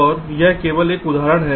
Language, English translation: Hindi, now this is another example